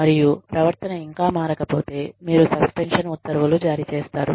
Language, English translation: Telugu, And, if the warning, if the behavior, still does not change, then you issue suspension orders